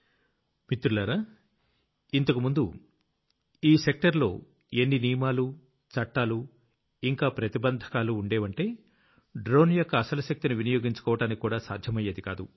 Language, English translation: Telugu, Friends, earlier there were so many rules, laws and restrictions in this sector that it was not possible to unlock the real capabilities of a drone